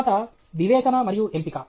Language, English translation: Telugu, Then, discernment and selectivity